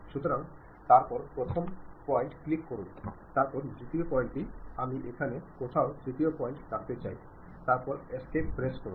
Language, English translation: Bengali, So, click first point, then second point, I would like to have third point here somewhere here, then press escape